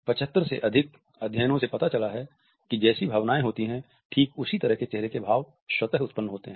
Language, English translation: Hindi, Over 75 studies have demonstrated that these very same facial expressions are produced when emotions are elicited spontaneously